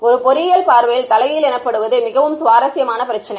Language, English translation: Tamil, From an engineering point of view, the more interesting problem is what is called the inverse problem